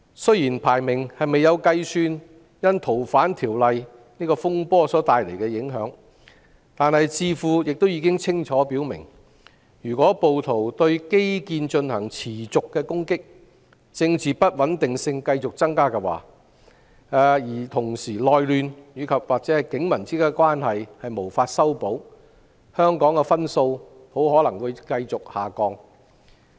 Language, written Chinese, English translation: Cantonese, 雖然排名未有計算《逃犯條例》風波帶來的影響，但智庫已清楚表明，如果暴徒持續對基建進行攻擊、政治不穩定性繼續增加，同時內亂或警民關係無法修補，香港的分數很可能會繼續下降。, Although the ranking has not taken into account the impact of the disturbances related to the Fugitive Offenders Ordinance the Economist Intelligence Unit has clearly stated that if rioters continue to attack infrastructure if political instability escalates if there is civil strife or if police community relations cannot be mended it is very likely that Hong Kongs scores will continue to decline